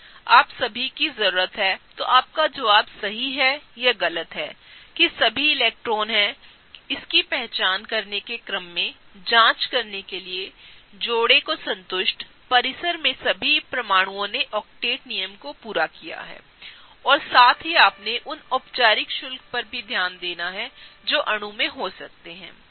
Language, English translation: Hindi, All you need to check in order to identify if your answer is right or wrong is that are all the electron pairs satisfied; are all the atoms in the compound have fulfilling octet rule complete and also have you paid attention to the formal charges that may be there in the molecule